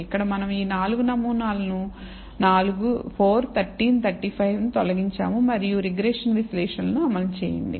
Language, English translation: Telugu, Here we have removed these 4 samples 4 13 35 and thing and run the regression analysis